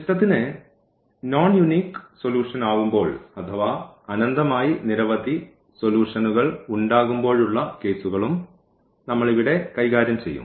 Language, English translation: Malayalam, So, here we will be also dealing the cases when we have non unique solutions meaning infinitely many solutions or the system does not have a solution